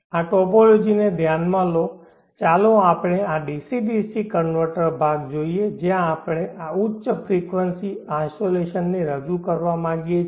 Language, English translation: Gujarati, Consider this topology let us look at this DC DC converter portion where we would like to introduce this high frequency isolation